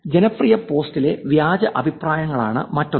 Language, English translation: Malayalam, Here is the second one, fake comments on popular post